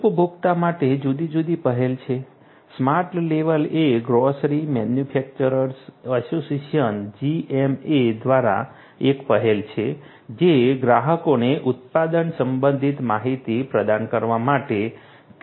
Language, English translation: Gujarati, For the consumer there are different initiatives smart level is an initiative by the Grocery Manufacturers Association GMA, which uses your quote to provide product related information to the consumers